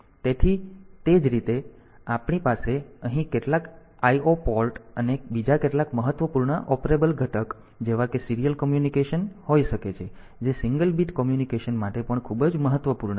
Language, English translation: Gujarati, So, similarly we can have some IO port here and some other important the operable thing component like a serial communication that is also very important because for single bit communication